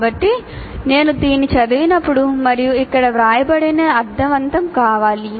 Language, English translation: Telugu, So when I read this and whatever that is written here, it should make sense